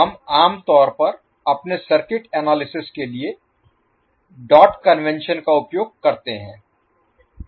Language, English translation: Hindi, We generally use the dot convention for our circuit analysis